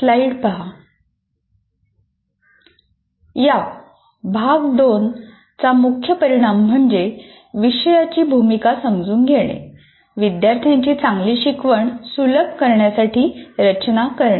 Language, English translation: Marathi, The main outcome of this unit two is understand the role of course design in facilitating good learning of the students